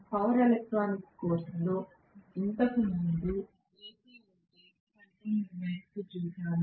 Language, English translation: Telugu, We had looked at AC voltage controller earlier in power electronics course